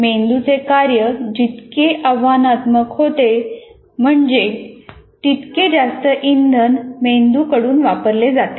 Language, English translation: Marathi, The more challenging brain task, the more fuel it consumes